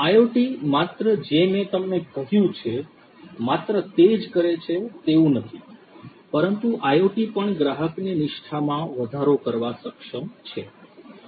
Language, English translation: Gujarati, IoT not only does what I just told you, but IoT is also capable of increasing the customer loyalty